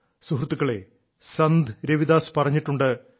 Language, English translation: Malayalam, Friends, Ravidas ji used to say